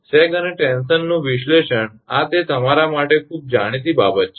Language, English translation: Gujarati, Analysis of sag and tension this is this is quite known thing to you